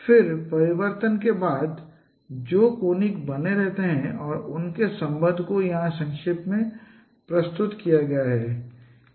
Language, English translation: Hindi, Then the conics they remain conic after transformation and their relationships have been summarized here